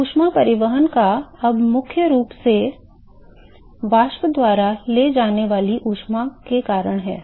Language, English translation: Hindi, So, the heat transport is now primarily due to heat carried by the vapor ok